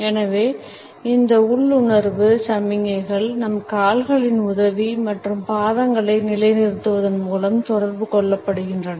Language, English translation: Tamil, So, these instinctive signals are communicated with a help of our legs and the positioning of the feet